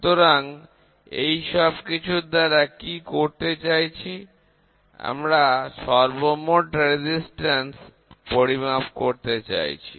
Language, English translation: Bengali, So, now, using all these things what are you trying to do is, total resistance has to be measured